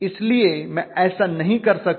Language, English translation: Hindi, So I cannot effort to do that